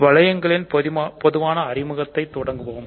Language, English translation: Tamil, So, let us start today with a general introduction to rings